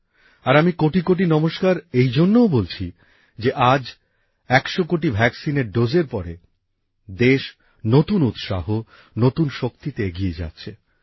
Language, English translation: Bengali, And I am saying 'kotikoti namaskar' also since after crossing the 100 crore vaccine doses, the country is surging ahead with a new zeal; renewed energy